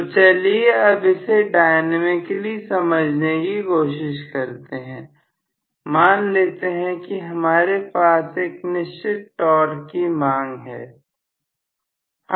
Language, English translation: Hindi, So, dynamically if I try to analyze this, let us say I am demanding a particular value of torque